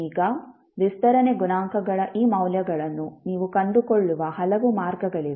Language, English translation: Kannada, Now, there are many ways through which you can find these values of expansion coefficients